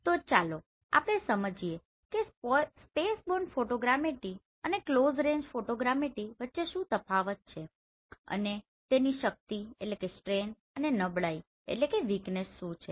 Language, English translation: Gujarati, So let us understand what is the difference between spaceborne photogrammetry and close range photogrammetry their strengths and weaknesses